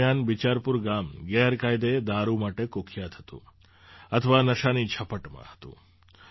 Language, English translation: Gujarati, During that time, Bicharpur village was infamous for illicit liquor,… it was in the grip of intoxication